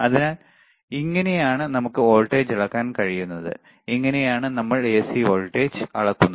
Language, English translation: Malayalam, So, this is how we can measure the voltage, this is what we are measuring AC voltage